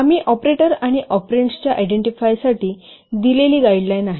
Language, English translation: Marathi, So these are the guidelines we have given for identifying the operators and operands